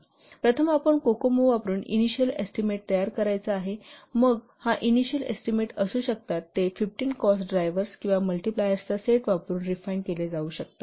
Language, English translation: Marathi, So first you have to prepare the initial estimate using Kokomo, then this initial estimate they can estimate, it can be refined by using a set of 15 cost drivers or multipliers